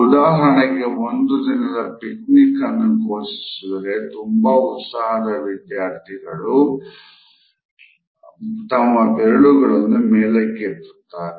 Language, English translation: Kannada, For example, if a picnic is to be announced in a class the most enthusiastic students would immediately move their toes upward